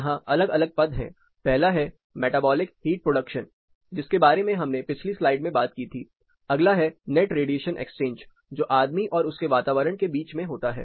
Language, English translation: Hindi, Here there are different terms; first is the metabolic heat production that we talked about in the previous slide, the next is net radiation exchange which happens between person and the environment